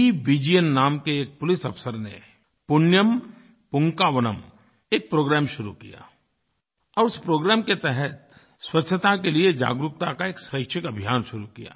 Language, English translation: Hindi, Vijayan initiated a programme Punyam Poonkavanam and commenced a voluntary campaign of creating awareness on cleanliness